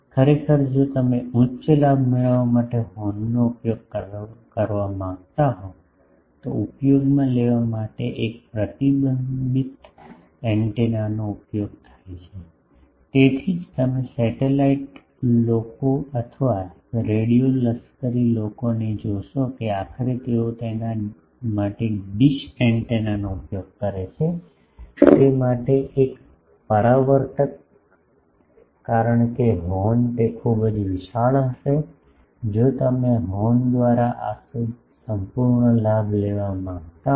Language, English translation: Gujarati, Actually, if you want to produce higher very higher gains horn is not used, then a reflector antenna is used to have more gain that is why you see satellite people or radio military people ultimately they use a dish antenna for that, this reflector for that, because horn it will be very bulky if you want to have that whole this gain by the horn